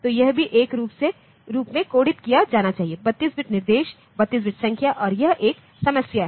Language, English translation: Hindi, So, this should also be coded as a 32 bit instruction, 32 bit numbers and that is a problem ok